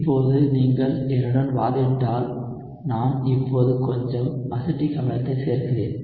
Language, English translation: Tamil, So now if you argue with me that I am adding now a little acetic acid